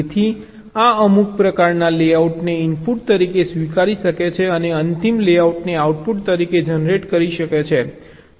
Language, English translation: Gujarati, so this can accepts some kind of a layout as input and generates the final layout as output